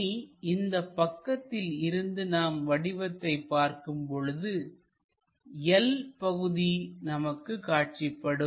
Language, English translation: Tamil, Now, if we are looking a view from this direction, what we are supposed to see is this L portion, we are supposed to see